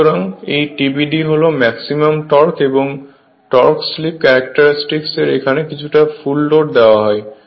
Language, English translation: Bengali, So, that that TBD is the maximum torque right and the torque slip characteristic for no load somewhat given full load is linear